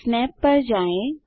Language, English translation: Hindi, Go to Snap